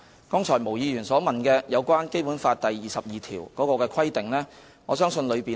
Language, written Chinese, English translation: Cantonese, 對於毛議員剛才所問，我相信《基本法》第二十二條的條文已訂明有關規定。, As regards the question just posed by Ms MO I believe Article 22 of the Basic Law already provides for the relevant requirements very clearly